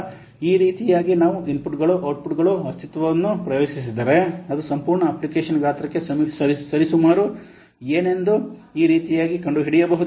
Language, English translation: Kannada, So in this way you can find out the inputs, outputs, entity accesses which roughly what correspond to the size of the whole application in this manner